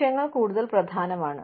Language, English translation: Malayalam, Goals are more important